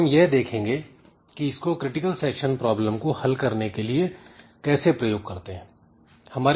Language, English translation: Hindi, So, we'll see this what how can I use it for solving this critical section problem it is like this